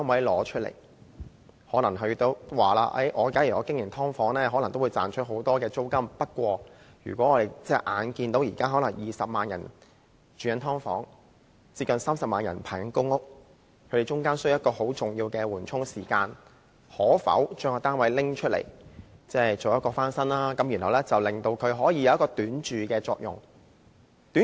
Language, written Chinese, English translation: Cantonese, 他們表示，假如他們經營"劏房"，也可能會賺取很多租金，但看到現在可能有20萬人住在"劏房"，有接近30萬人正在輪候公屋，這些人需要在輪候期間在住屋上得到緩衝，於是便騰出單位翻新，供他們短住。, They said they could probably earn a lot more rental income if they let out subdivided flats but seeing probably 200 000 people now living in subdivided flats and nearly 300 000 awaiting allocation of public rental housing PRH who all need a buffer in terms of housing during their wait they decided to vacate their flats for refurbishment and then for these peoples short stay